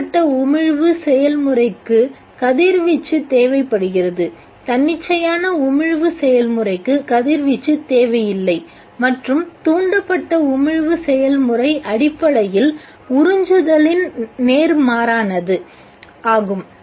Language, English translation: Tamil, The stimulated emission process requires the radiation the spontaneous emission process does not require radiation and the stimulated emission process is essentially the reverse of absorption